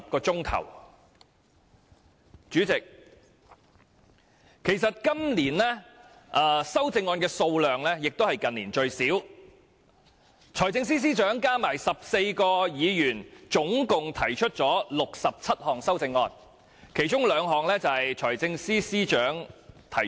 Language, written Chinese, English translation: Cantonese, 代理主席，其實今年的修正案數量亦是近年最少，財政司司長加上14位議員合共提出了67項修正案，其中兩項由財政司司長提出。, Deputy Chairman indeed we also have the fewest Budget amendments in recent years with only 67 amendments proposed by 14 Members and the Financial Secretary . Two of the amendments are proposed by the Financial Secretary himself